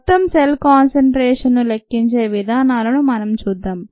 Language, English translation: Telugu, let us look at measuring the total cell concentration